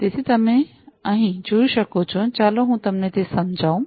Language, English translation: Gujarati, So, as you can see over here let me just explain it to you